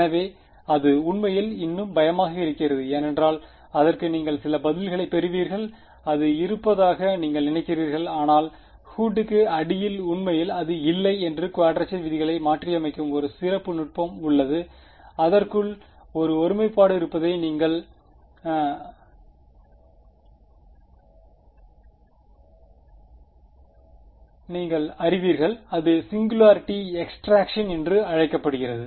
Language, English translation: Tamil, So, that is actually even scarier because you will get some answer for it and you think it exists, but under underneath the hood it does not exist there is a special technique of modifying quadrature rules when you know that there is a singularity inside it is called singularity extraction ok